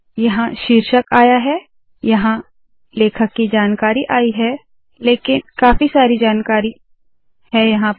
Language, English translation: Hindi, Here the title comes here, here the author information comes but lots of information is coming